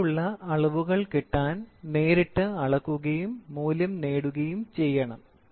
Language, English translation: Malayalam, Direct measurements are generally preferred so that I directly measure and get the value